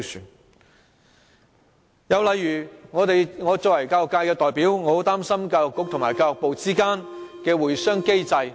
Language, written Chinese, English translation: Cantonese, 另一例子是我作為教育界代表，很擔心教育局和教育部之間的會商機制。, Another example is the consultation mechanism between the Education Bureau and the Ministry of Education . As a representative of the education sector I am very concerned about this situation